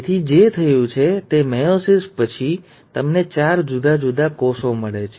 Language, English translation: Gujarati, So what has happened is after meiosis two, you end up getting four different cells